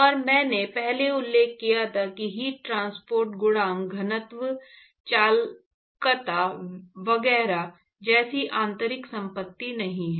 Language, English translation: Hindi, And in fact, I mentioned before that heat transport coefficient is not an intrinsic property like density conductivity etcetera